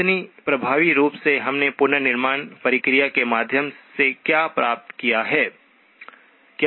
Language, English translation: Hindi, So effectively what we have obtained through the reconstruction process, is